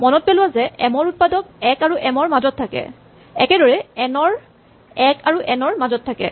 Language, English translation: Assamese, Remember that the factors of m lie between 1 and m and for n lie between 1 and n